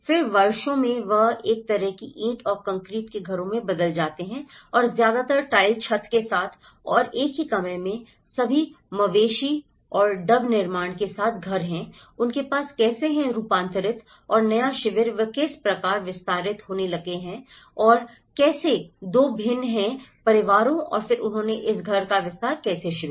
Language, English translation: Hindi, Then, over the years they get modified into a kind of brick and concrete houses and mostly with the tile roofing and a single room houses with all the wattle and daub constructions, how they have transformed and the new camp how they have started extending and how two different families and then how they started expanding this houses